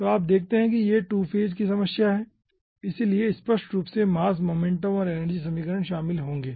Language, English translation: Hindi, so you see, ah, as it is a problem of 2 phase, so obviously mass momentum, energy equation will be involved